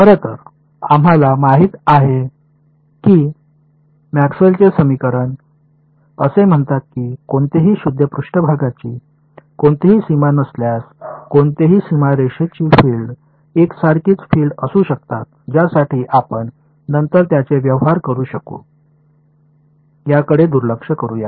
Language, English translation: Marathi, Right so, we know Maxwell’s equation say that the fields the tangential fields that any boundary are the same unless there is some pure surface current let us ignore that for the we can deal with it later